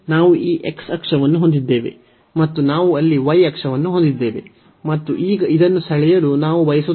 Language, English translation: Kannada, We have this x axis and we have the y axis there and we want to now draw this